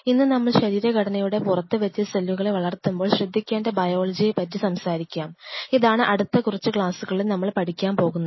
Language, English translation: Malayalam, Today we will talk about the Biology of the cell to be considered to grow the cells outside the body; this is the key point what will be dealing next few classes